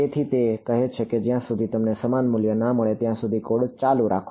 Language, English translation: Gujarati, And you keep running the code until you get a similar values